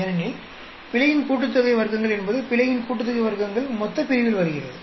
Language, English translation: Tamil, Because the sum of squares of error means sum of squares of error comes in the denominator